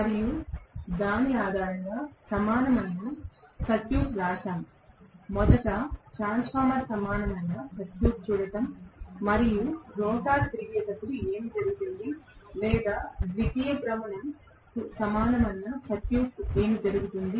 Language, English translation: Telugu, And we based on that wrote the equivalent circuit, looking at a transformer equivalent circuit originally and what happens when the rotor rotates or the secondary rotates what happens to the equivalent circuit